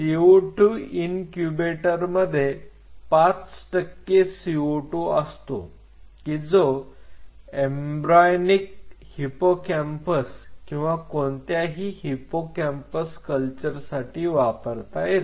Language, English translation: Marathi, And most of the co 2 incubator prefer 5 percent co 2 for embryonic hippocampal or any of the hippocampal neuron or culture